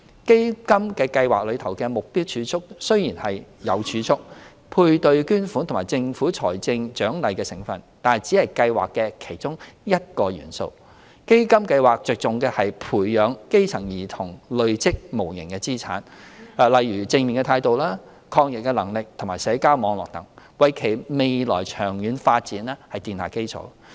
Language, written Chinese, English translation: Cantonese, 基金計劃中的"目標儲蓄"雖然有儲蓄、配對捐款及政府財政獎勵的成分，但只是計劃的其中一個元素。基金計劃着重的是培養基層兒童累積無形資產，例如正面態度、抗逆能力及社交網絡等，為其未來長遠發展奠下基礎。, Despite that the Targeted Savings under CDF projects are made up of savings matching fund and a financial incentive provided by the Government they only form one of the components of CDF which attaches importance to encouraging children from underprivileged families to accumulate intangible assets such as positive attitude resilience social networks and so on with a view to laying a foundation for their long - term development